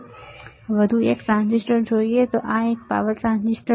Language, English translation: Gujarati, So, let us see one more transistor, and this is the power transistor